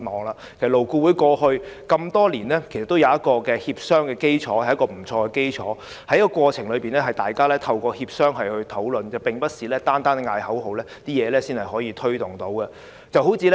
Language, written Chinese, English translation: Cantonese, 其實，勞顧會多年來也具備良好協商的基礎，在過程中，大家透過協商進行討論，並不是單靠叫口號便能推動工作的，最低工資便是一個很好的例子。, In the process we need to work together through discussion and negotiation . This is not something that can be achieved by chanting slogans alone . The minimum wage is a very good example